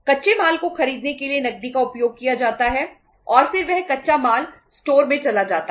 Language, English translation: Hindi, Cash is used to purchase the raw material and then that raw material goes to the store and it is called as the raw material inventory